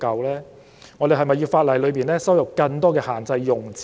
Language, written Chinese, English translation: Cantonese, 是否有必要在法例加入更多限制用詞？, Is it necessary to include more restricted descriptions in the legislation?